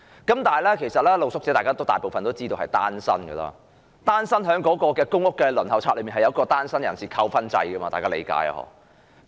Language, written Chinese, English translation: Cantonese, 不過，眾所周知，大部分露宿者也是單身人士，而公屋輪候冊設有單身人士扣分制，大家也知道吧。, Yet as we all know most street sleepers are singletons and Members may be mindful of the marking scheme for singletons under the Quota and Points System of the Waiting List for Public Rental Housing